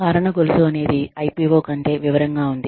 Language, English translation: Telugu, Causal chain is something, more detailed than an IPO